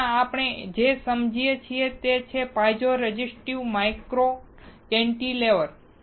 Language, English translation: Gujarati, Right now, what we understand is piezo resistive micro cantilever